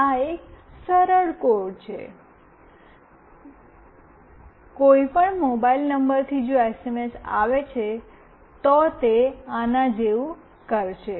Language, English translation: Gujarati, This is a simple code; from any mobile number if the SMS comes, then it will do like this